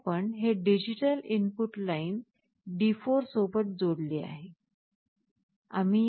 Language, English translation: Marathi, Here, we have connected it to the digital input line D4